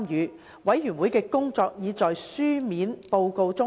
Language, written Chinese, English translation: Cantonese, 事務委員會的工作已在書面報告中詳細交代。, A detailed account of the other work of the Panel can be found in the written report